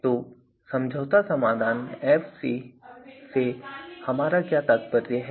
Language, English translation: Hindi, So, what do we mean by compromise solution Fc